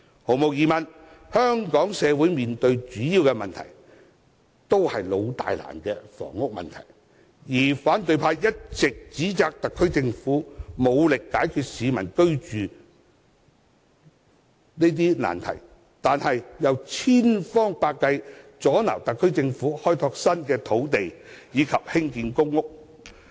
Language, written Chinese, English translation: Cantonese, 毫無疑問，香港社會面對的主要問題，是"老大難"的房屋問題，而反對派一直指摘特區政府無力解決市民居住難題，但又千方百計阻撓特區政府開拓新的土地及興建公屋。, Undoubtedly a major problem facing our society is housing a problem often described as long - standing in time massive in scale and intense in degree . The opposition camp has been criticizing the SAR Government for failing to address the housing problems of the people while exhausting all means to stop the SAR Government from developing new land and constructing public housing